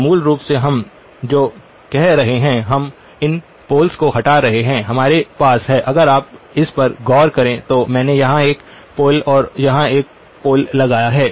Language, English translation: Hindi, So basically what we are saying is we removed these poles, we have if you look at this I have put a pole here and a pole here